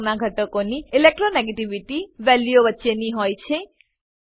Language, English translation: Gujarati, Elements with pink color have in between Electronegativity values